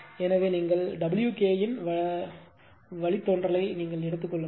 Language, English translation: Tamil, So, you take the derivative with respect to t of W Ke